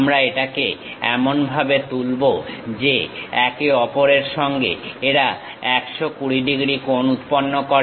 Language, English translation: Bengali, We lift it up in such a way that, these angles makes 120 degrees with each other